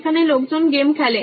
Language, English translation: Bengali, There are people playing games